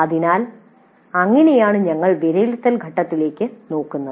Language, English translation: Malayalam, So, that is how we should be looking at the evaluate phase